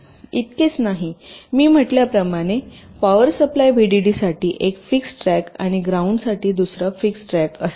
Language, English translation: Marathi, not only that, as i said, there will be a one fixed track for the power supply, vdd, and another fixed track for ground